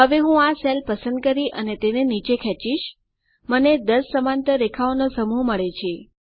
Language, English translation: Gujarati, Now I can just select this cell and drag it all the way down, I get a set of 10 parallel lines